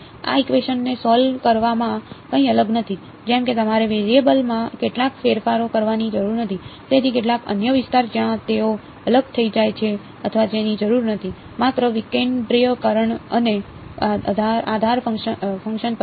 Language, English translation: Gujarati, That is nothing very fancy involved in solving these equation like you do not have do some changes of variables, so some other domain where they become decoupled or at all that is not needed; just discretizing and choosing basis functions